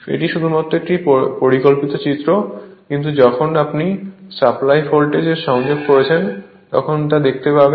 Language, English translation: Bengali, It is just a schematic diagram, but when you are connecting supply voltage we will see that right